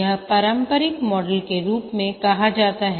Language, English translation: Hindi, This will call as the traditional model